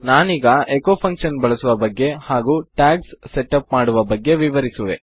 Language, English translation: Kannada, Ill just go through how to use the echo function and how to set up your tags